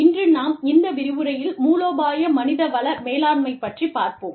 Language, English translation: Tamil, Today, we will talk about, in this lecture, we will talk about, Strategic Human Resource Management